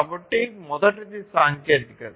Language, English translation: Telugu, So, the first one is the technology